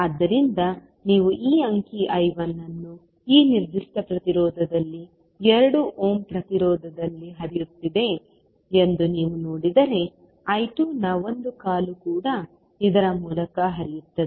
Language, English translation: Kannada, So, if you see this figure I 1 will be flowing in this particular resistance that is 2 ohm resistance but one leg of I 2 will also be flowing through this